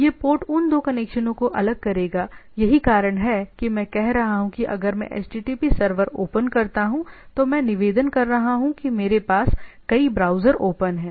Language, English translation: Hindi, So, this port will distinguish that two connection that is why as saying that if I open up a http server, right I am requesting for I am multiple browser in my windows open